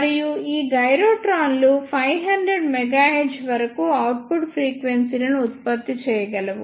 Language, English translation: Telugu, And these gyrotrons can generate output frequencies up to 500 megahertz